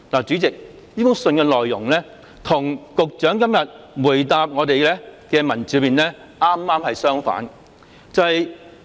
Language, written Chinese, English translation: Cantonese, "主席，這封信的內容與局長今天答覆的文本恰恰相反。, President the content of the letter runs exactly counter to the Secretarys reply today